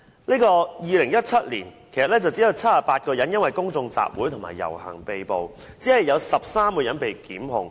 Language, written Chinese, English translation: Cantonese, 在2017年，有78個人因公眾集會及遊行而被捕，只有13人被檢控。, In 2017 78 people were arrested due to public meetings and public processions and only 13 people were prosecuted